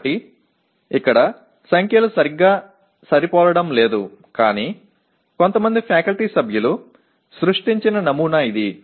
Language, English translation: Telugu, So the numbers here do not exactly match but this is one sample as created by some faculty members